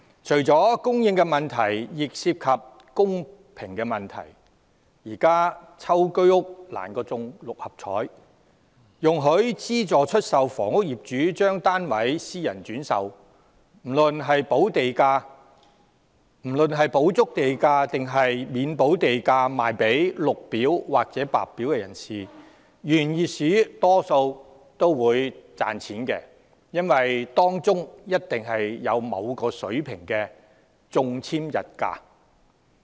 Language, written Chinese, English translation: Cantonese, 除了供應問題亦涉及公平問題，現時居屋中籤比中六合彩更難，容許資助出售房屋業主將單位私人轉售，不論是補足地價抑或未補地價售予綠表或白表申請者，原業主大多會獲利，因為當中必有某個水平的中籤溢價。, Apart from the issue of supply there is also the issue of fairness . It is currently more difficult to strike it lucky in a ballot draw for HOS flats than win the Mark Six Lottery . Allowing owners of subsidized sale flats to resell their units in private―whether doing so with the relevant premium fully paid or selling to Green Form or White Form applicants without paying the premium―will in most cases enrich the original owners as a certain level of premium for winning the draw will inevitably be involved